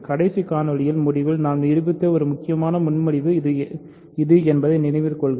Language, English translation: Tamil, Remember this is a crucial proposition that we proved at the end of last video